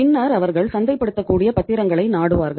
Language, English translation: Tamil, Then they will resort to the marketable security